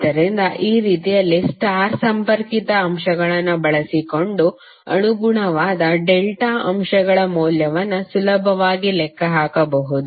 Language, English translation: Kannada, So in this way you can easily calculate the value of the corresponding delta elements using star connected elements